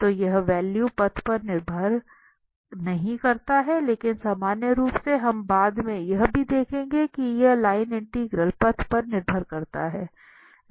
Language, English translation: Hindi, So this value does not depend on path, but in general, we will see also later that these line integral depends on the path